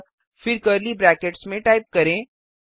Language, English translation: Hindi, So again type inside curly brackets